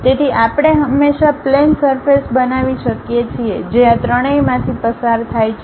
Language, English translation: Gujarati, So, we can always construct a plane surface which is passing through these three points